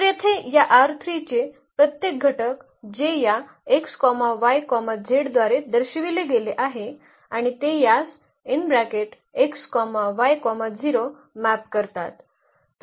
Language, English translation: Marathi, So, here every element of this R 3 which is denoted by this x y z and it maps to this x, y and the z becomes 0